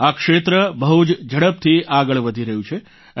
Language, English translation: Gujarati, This sector is progressing very fast